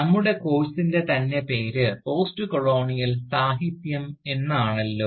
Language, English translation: Malayalam, And, with this, we come to an end of our course, on Postcolonial Literature